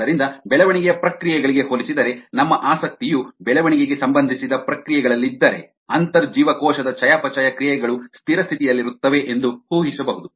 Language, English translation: Kannada, so and comparison to the growth process, if we are interested in growth related processes, the intracellular metabolites can be assume to be at steady state